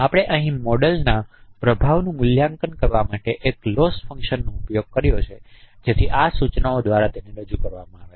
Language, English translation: Gujarati, So we use a loss function here to adjust to assess the performance of a model, so which is represented here by these notation